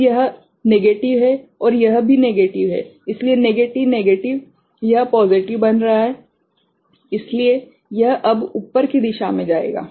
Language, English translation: Hindi, So, this is negative means and this is a negative right so, negative negative it is becoming positive; so, it will now go in the upward direction right